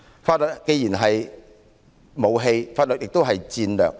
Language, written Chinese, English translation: Cantonese, 法律既是武器，也是戰略。, Law is both a weapon and a strategy